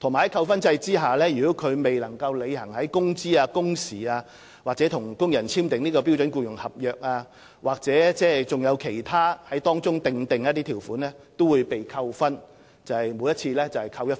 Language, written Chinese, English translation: Cantonese, 在扣分制度下，如承辦商未能履行工資、工時、與工人簽訂"標準僱傭合約"的條款或當中其他條款的規定，均會每次被扣除1分。, Under the demerit point system should a contractor fail to fulfil his responsibility stipulated in the Standard Employment Contract in relation to wages working hours and other terms and conditions he will be given one demerit point for each contravention